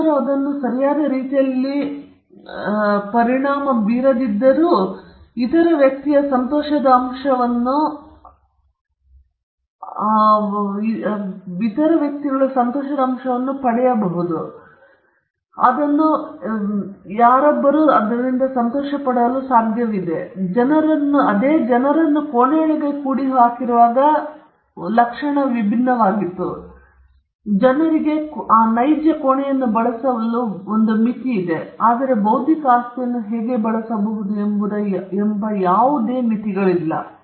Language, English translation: Kannada, They were able to use it without affecting the right or without affecting the enjoyment quotient of the other person to use it at the same time, which would had been different if people were crammed into a room; there are limits to which people can use a room, whereas there are no limits to how an intellectual property can be used